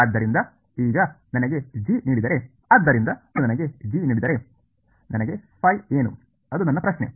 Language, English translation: Kannada, So, now, if I am given g right, so, if I am given now I am given g what is phi that is my question